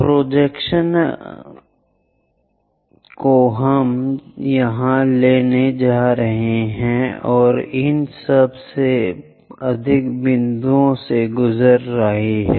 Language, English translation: Hindi, So, the projection projections what we are going to get here goes via these bottom most points